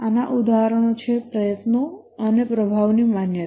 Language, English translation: Gujarati, Examples of these are recognition of effort and performance